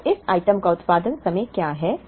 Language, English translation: Hindi, Now, what is the production time for this item